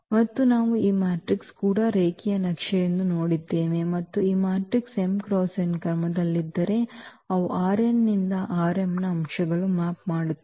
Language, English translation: Kannada, And what we have also seen that these matrices are also linear map and if matrix is of order m cross n then they map the elements of R n to the elements of R m